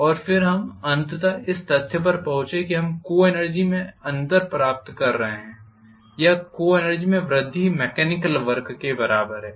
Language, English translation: Hindi, And then we ultimately arrived at the fact that we are getting the difference in the co energy or increasing in the co energy is equal to the mechanical work done